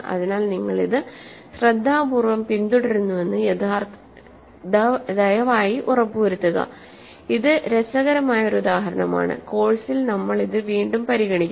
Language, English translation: Malayalam, So, please make sure that you carefully follow this, this is an interesting example that we will encounter again in the course